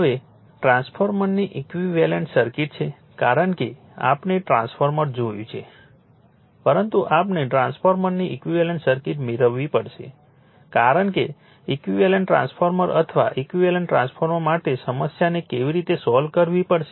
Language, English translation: Gujarati, Now, equivalent circuit of a transformer because we have seen transformer, but we have to obtain the equivalent circuit of transformer because you have to solve problem how to solve the problem for an equivalent transformer or a equivalent transformer